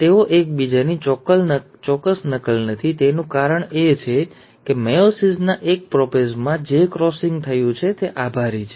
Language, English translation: Gujarati, The reason they are not an exact copy of each other is thanks to the crossing over which has taken place in prophase one of meiosis one